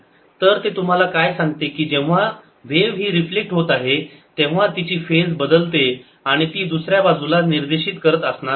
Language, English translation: Marathi, so what it tells you is that when the wave is getting reflected, its phase changes is going to point the other way